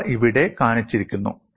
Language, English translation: Malayalam, These are shown here